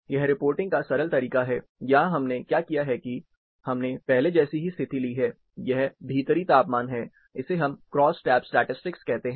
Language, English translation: Hindi, A simple way of reporting, here what we have done, we have taken the similar condition, indoor temperature, this we call crosstab statistics